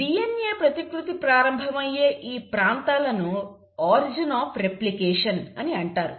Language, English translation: Telugu, Now these regions where the DNA replication starts is called as origin of replication, okay